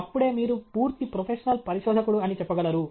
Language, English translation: Telugu, Only then, you can say that you are a fully professional researcher